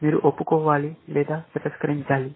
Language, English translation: Telugu, You have to either, confess or you have to deny